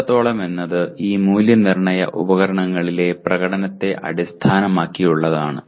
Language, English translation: Malayalam, To what extent, it is based on the performance in these assessment instruments